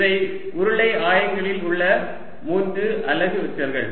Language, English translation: Tamil, these are the three unit vectors in cylindrical coordinates